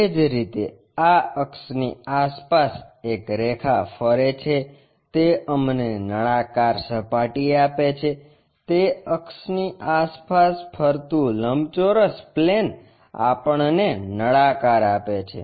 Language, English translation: Gujarati, Similarly, a line revolves around this axis give us cylindrical surface; a plane rectangular plane revolving around that axis gives us a cylinder